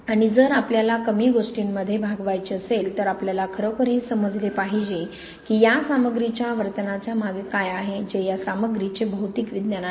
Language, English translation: Marathi, And if we have got to move with less then we really have to understand what is behind the way these materials behave, which is material science of these materials